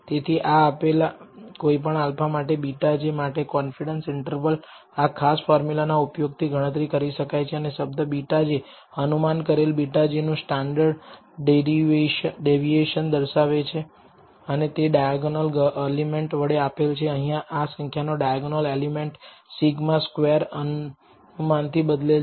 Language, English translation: Gujarati, So, the confidence interval for beta j for any given alpha can be computed using this particular formula and the term here se of beta hat j represents the standard deviation of the estimate of beta hat j and that is given by the diagonal element, diagonal element here of this quantity with sigma square replaced by the estimate here